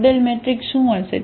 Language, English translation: Gujarati, What will be the model matrix